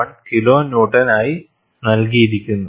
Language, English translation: Malayalam, 1 kilo Newtons